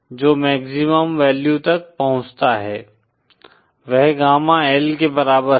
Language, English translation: Hindi, The maximum value that is reached is equal to Gamma L